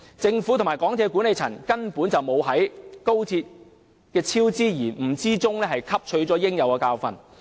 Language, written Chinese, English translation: Cantonese, 政府和港鐵公司管理層根本未有在高鐵工程的超支延誤中汲取教訓。, The Government and the management of MTRCL simply did not learn a lesson from the cost overruns and delays in the XRL project